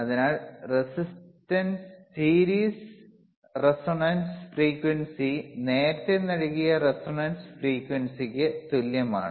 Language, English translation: Malayalam, tTherefore, the resistance series resonantce frequency is same as the resonant frequency which iwas given ea earrlier right